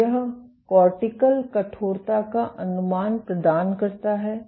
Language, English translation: Hindi, So, this provides estimates cortical stiffness